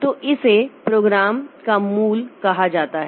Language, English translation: Hindi, So, that is called the core of the program